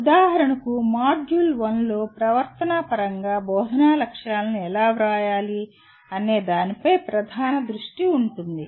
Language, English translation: Telugu, For example Module 1 will dominantly focus on how to write Instructional Objectives in behavioral terms